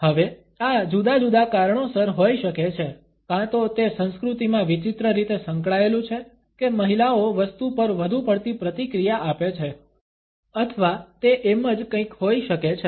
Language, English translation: Gujarati, Now, this could be for different reasons, either one it is been oddly ingrained in the culture that ladies are supposed to react a lot more subdued to stuff or it could be something just